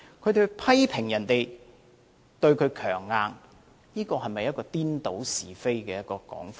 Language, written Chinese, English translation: Cantonese, 他們批評別人對他強硬，這是否顛倒是非的說法呢？, They criticize other people for being high - handed with them . Is such a statement not a distortion of facts?